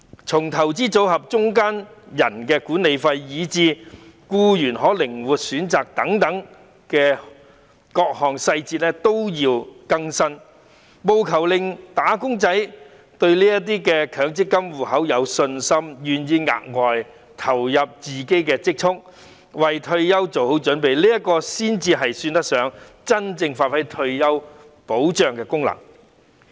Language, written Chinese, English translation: Cantonese, 從強積金計劃的管理費至參與僱員的靈活選擇等，各項細節都要更新，務求令"打工仔"對強積金制度有信心，願意額外投入自己的積蓄，為退休做好準備，才算得上真正發揮退休保障的功能。, Updates are required in every area ranging from management fees of MPF schemes to flexibility of choices for participating employees so that wage earners will have confidence in the MPF System and are willing to make additional contributions from their savings to prepare for their retirement . Only in this way can the function of retirement protection be given the full play